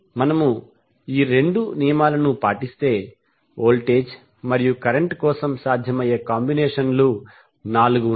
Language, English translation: Telugu, So if we follow these two rules, the possible combinations for voltage and current are four